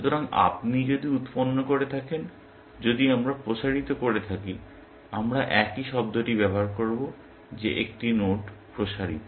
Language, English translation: Bengali, So, if you have generated, if we have expanded, we will use the same term expanded a node